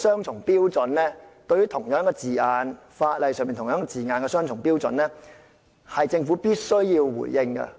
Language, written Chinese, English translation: Cantonese, 就着這種對法例的相同字眼採取雙重標準，政府必須回應。, The Government must give a response about this double standard applied to the same wording in the legislation